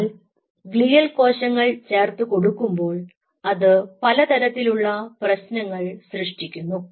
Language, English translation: Malayalam, the addition of glial cells brings a different set of problems